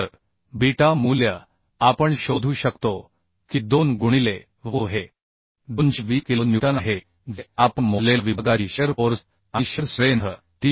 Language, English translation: Marathi, So beta value we can find out: 2 into Vu is the 220 kilo newton, the shear force and shear strength of the section